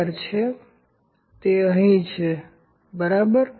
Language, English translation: Gujarati, 00 and it is here, ok